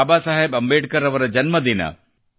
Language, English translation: Kannada, Baba Saheb Ambedkar ji